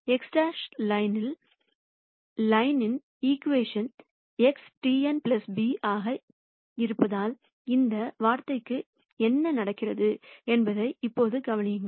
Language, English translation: Tamil, Now notice what happens to this term right here, since X prime is on the line and the equation of line is X transpose n plus b this has to go to 0